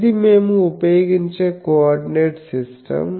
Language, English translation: Telugu, So, this is the coordinate system we will use